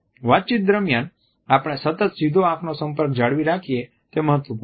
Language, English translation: Gujarati, During our conversation it is important that we maintain continuously a direct eye contact